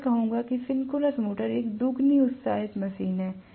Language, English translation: Hindi, So, I would say that synchronous motor is a doubly excited machine